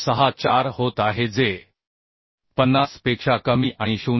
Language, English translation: Marathi, 64 which is less than 50 and 0